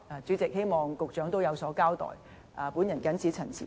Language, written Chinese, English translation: Cantonese, 主席，我希望局長有所交代。, President I hope the Secretary can respond to these points later